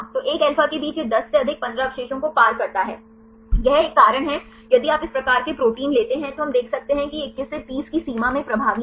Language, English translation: Hindi, So, in between one alpha it crosses more than 10 15 residues, this is a reason if you take this type of proteins right we can see this is dominant in the 21 to 30 range